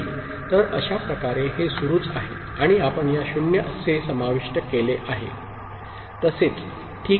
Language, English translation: Marathi, So, that way it continues and you include these 0s also, ok